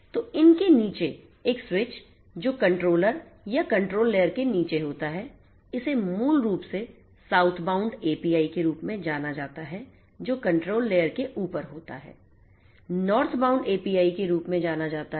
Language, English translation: Hindi, So, the one switcher below these layers which are below the control the controller or the control layer this basically is known as the Southbound API, once which are above are known as the Northbound API